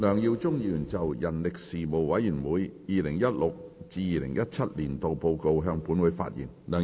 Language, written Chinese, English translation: Cantonese, 梁耀忠議員就"人力事務委員會 2016-2017 年度報告"向本會發言。, Mr LEUNG Yiu - chung will address the Council on the Report of the Panel on Manpower 2016 - 2017